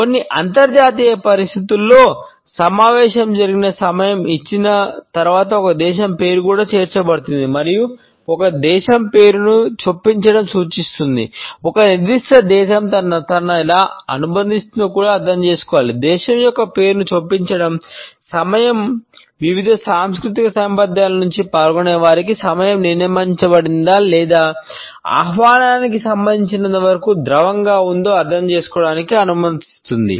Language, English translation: Telugu, It is interesting to note that in certain international situations the name of a country is also inserted after the time of the meeting is given and the insertion of the name of a country indicates that, one also has to understand how the particular country associates itself with time the insertion of the name of a country allows the participants from different cultural backgrounds to understand if the time is fixed or fluid as far as the invitation is concerned